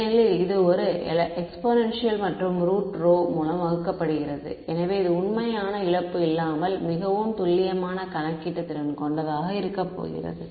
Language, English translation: Tamil, Because, this is an exponential and it is divided by root rho right; so, this is going to be much more computationally efficient without any real loss in accuracy